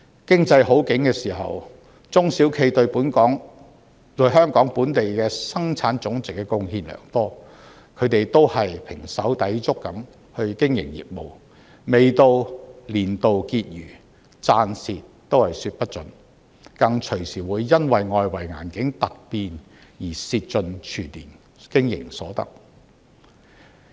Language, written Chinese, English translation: Cantonese, 經濟好景時，中小企對香港本地生產總值貢獻良多，它們都是胼手胝足地經營業務，未到年度結餘，賺蝕也說不準，更隨時會因為外圍環境突變而蝕盡全年經營所得。, When the economy is on an upturn SMEs have contributed considerably to the GDP of Hong Kong . They have been toiling hard to run their business and they can hardly tell whether they will reap profits or suffer losses till the year end for they have every chance to lose all they have earned during the year due to a sudden change in the external environment